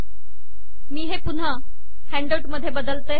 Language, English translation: Marathi, Let me change this back to handout